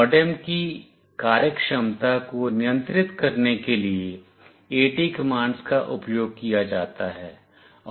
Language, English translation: Hindi, AT commands are used to control the MODEM’s functionality